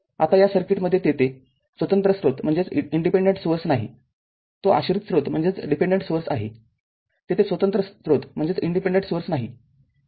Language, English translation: Marathi, Now, here in this circuit, there is no independent source it is dependent source, there is no independent source